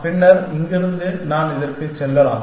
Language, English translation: Tamil, Then, from here I can go to this